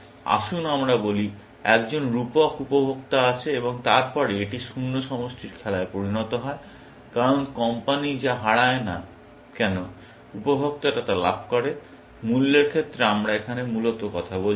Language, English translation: Bengali, Let us say, there is one figurative consumer and then, it becomes the zero sum game, because whatever the company loses, the consumer gains, in terms of price we are talking here, essentially